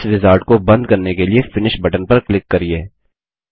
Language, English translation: Hindi, Click on the Finish button to close this wizard